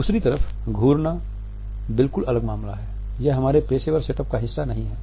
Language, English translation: Hindi, Staring on the other hand is an absolutely different affair; it is never a part of our professional setup